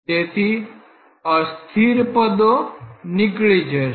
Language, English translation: Gujarati, So, unsteady term goes away